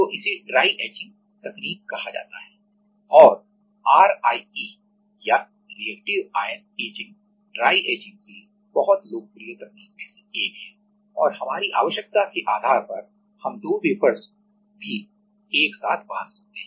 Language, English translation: Hindi, So, that is these are called dry etching techniques and RIE or reactive ion etching is one of the very popular technique for dry etching and depending on our requirement we can also bond two wafers